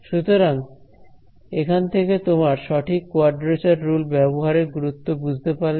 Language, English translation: Bengali, So, hopefully this drives home the importance of having of using a proper quadrature rule alright